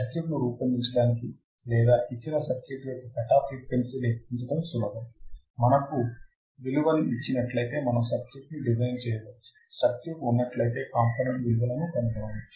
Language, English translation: Telugu, To design or to calculate the cutoff frequency given the circuit, we have seen if we are given the value we can design the circuit if the circuit is there we can find the values